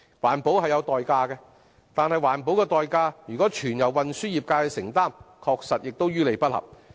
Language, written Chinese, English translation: Cantonese, 環保是有代價的，但環保的代價如果全由運輸業界承擔，確實於理不合。, Environmental protection comes at a price . But if the price for environmental protection is fully borne by the transport trades it will be downright unreasonable